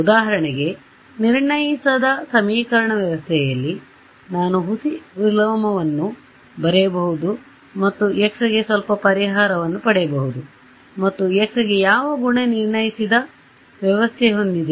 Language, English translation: Kannada, For example, in an underdetermined system of equations, I can write a pseudo inverse and get some solution for x and that x has what property an underdetermined system